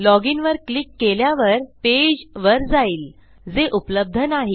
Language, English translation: Marathi, Ill log in and it goes to a page that doesnt exist